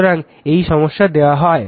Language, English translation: Bengali, So, this is the problem is given